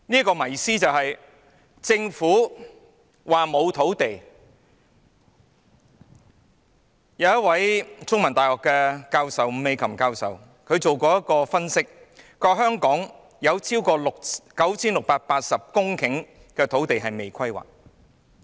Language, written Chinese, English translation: Cantonese, 第三，政府說沒有土地，但香港中文大學伍美琴教授曾分析，香港有超過 9,680 公頃土地尚未規劃。, Third the Government says that no land is available but according to the analysis by Professor NG Mee - kam of The Chinese University of Hong Kong there re more than 9 680 hectares of unplanned land in Hong Kong